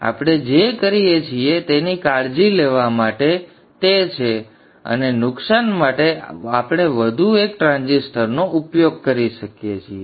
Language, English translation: Gujarati, So to take care of that what we do is that and still continue to be lossless, we use one more transistor